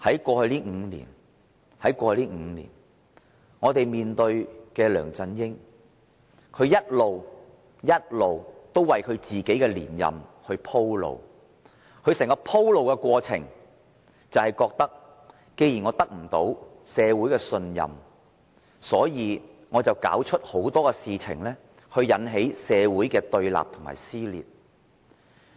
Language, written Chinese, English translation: Cantonese, 過去5年，我們面對梁振英一直為自己連任鋪路，在他鋪路的過程中，他認為既然得不到社會信任，便要弄出很多事情來挑起社會的對立和撕裂。, In the past five years we have been LEUNG Chun - ying striving to pave the way for his reappointment . In the course of paving this way he considered that if he could not gain the trust of society he would stir up all kinds of issues to provoke opposition and dissension in society